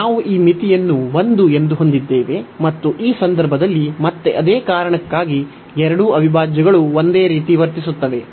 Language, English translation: Kannada, So, we have this limit as 1, and in this case again for the same reason both the integrals will behave the same